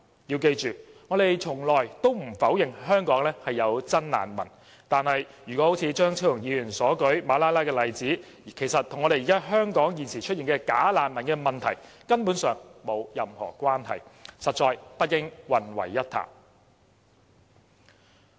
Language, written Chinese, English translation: Cantonese, 要記住，我們從來不否認香港有真難民，但張超雄議員所舉的馬拉拉例子，其實與香港現時出現的"假難民"問題根本上沒有任何關係，實在不應混為一談。, Please bear in mind that we have never denied there are genuine refugees in Hong Kong . But the example of Malala cited by Dr Fernando CHEUNG is actually not in any way related to the present problem of bogus refugees in Hong Kong . The two issues should not be mixed up